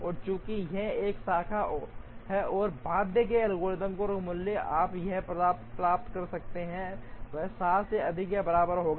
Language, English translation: Hindi, And since, it is a branch and bound algorithm, the value that you can get here will be greater than or equal to 7